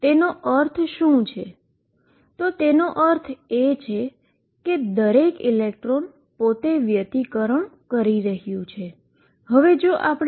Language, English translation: Gujarati, And what that means, is that each electron is interfering with itself